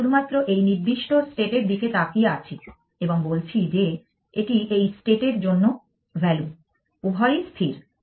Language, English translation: Bengali, We are only looking at this particular state and saying this is the value for this state both is static